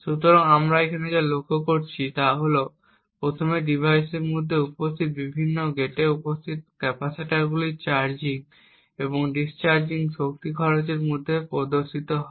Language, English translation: Bengali, So, what we notice over here is that first the charging and the discharging of the capacitors which are present in the various gates present within the device shows up in the power consumed